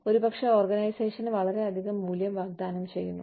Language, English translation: Malayalam, Maybe, offer a lot of value to the organization